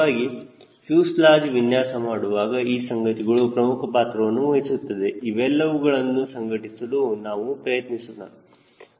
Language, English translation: Kannada, so all those things playing important role when will be actually designing a fuselage will try to incorporate those things